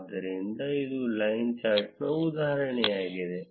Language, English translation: Kannada, So, this was the example of a line chart